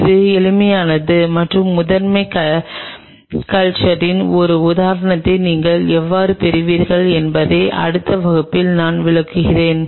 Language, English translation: Tamil, Which is easy and I will kind of explain this one in the next class how you would get one such example of primary culture